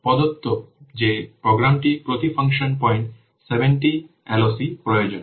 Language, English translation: Bengali, It said that the program needs 70 LOC per function point